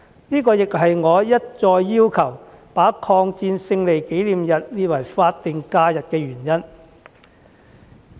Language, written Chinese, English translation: Cantonese, 這亦是我一再要求把抗戰勝利紀念日列為法定假日的原因。, This is why I have repeatedly requested the Government to designate the Victory Day of the War of Resistance as a statutory holiday